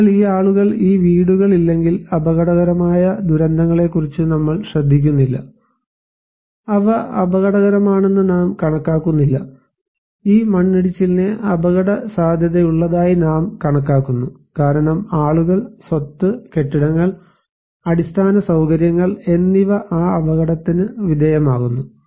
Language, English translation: Malayalam, So, if these people, these houses are not there, we do not care about the hazard disasters, we do not consider them as risky, we consider this landslide as risky because people, properties, buildings, infrastructures they are exposed to that potential hazard